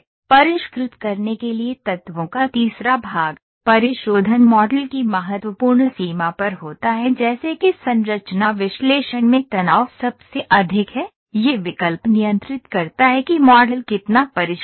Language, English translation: Hindi, Third portion of elements to refine, refinement occurs at critical range of the model such as where the stress is the highest in a structure analysis, this option controls how much of the model is refined